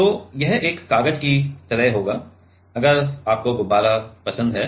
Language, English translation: Hindi, It will be like a paper right if you like a balloon